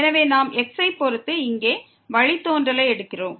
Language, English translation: Tamil, So, we are taking here derivative with respect to